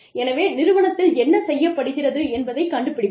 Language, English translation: Tamil, So, we find out, what is being done, by the industry